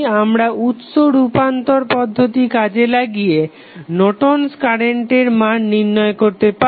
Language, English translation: Bengali, We can utilize our source transformation technique and then we can find out the values of Norton's current